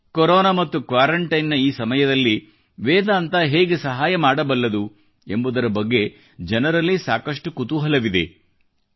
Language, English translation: Kannada, People are much keen on knowing how this could be of help to them during these times of Corona & quarantine